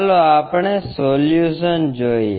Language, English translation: Gujarati, Let us look at the solution